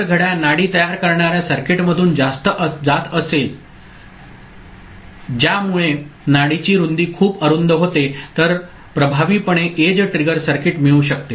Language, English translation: Marathi, If clock is passed through a pulse forming circuit that generates a very narrow pulse width, effectively an edge trigger circuit can be obtained